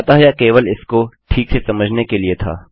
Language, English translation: Hindi, So, that was only to get clear on that